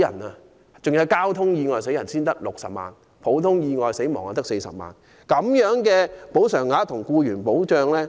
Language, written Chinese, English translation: Cantonese, 第二，如因交通意外死亡，賠償額是60萬元，普通意外死亡賠償額則為40萬元。, Secondly the insurance coverage is 600,000 for accidental traffic death and 400,000 for ordinary accidental death